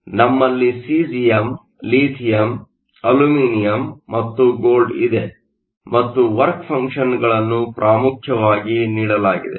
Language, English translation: Kannada, We have cesium, lithium, aluminum and gold, and the work functions are essentially given